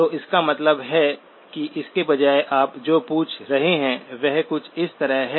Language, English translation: Hindi, So which means that instead what you are asking is something like this